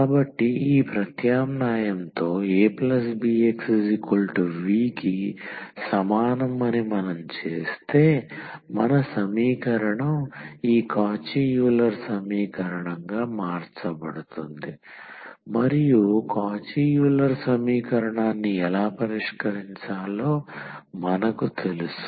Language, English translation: Telugu, So, if we do that a plus bx is equal to v with this substitution our equation will be converted to this Cauchy Euler equation and we know how to solve Cauchy Euler equation